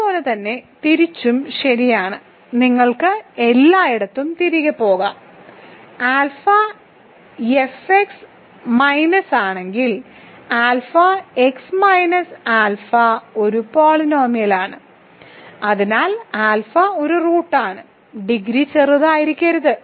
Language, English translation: Malayalam, And similarly converse is also true actually you can just go back everywhere, if alpha is in F x minus alpha is in F x minus alpha is a polynomial which has alpha is a root and degree cannot be anything smaller